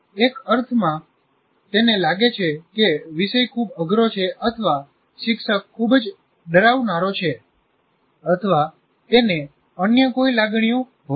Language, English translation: Gujarati, In the sense, he may feel that this subject is too far above, or the teacher is very intimidating or whatever feelings that he have